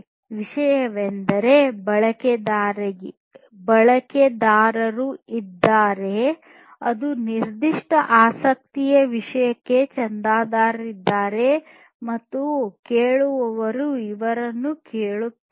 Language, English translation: Kannada, So, there are topics means like the there are users which basically subscribe to a particular topic of interest and the listeners basically listen to these